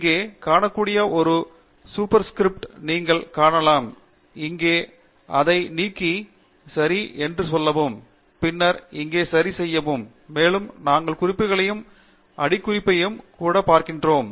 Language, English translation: Tamil, As you can see there is a Super script written here, we remove that here, and say OK, and then OK here, and we then also go to References and Footnotes